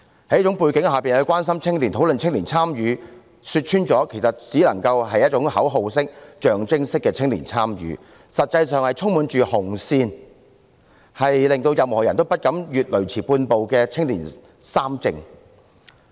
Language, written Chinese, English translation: Cantonese, 在這種背景下說關心青年、討論青年參與，說穿了，其實只能夠是一種口號式、象徵式的青年參與，實際上卻是充滿"紅線"，令任何人也不敢越雷池半步的"青年三政"。, Against such a background any talk of concern for young people and youth participation is frankly only a kind of slogan and symbolic participation and in reality it is a kind of political participation discussion and public policy debate fraught with red lines that no one dares step beyond